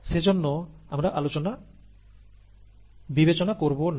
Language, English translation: Bengali, Hence we will not consider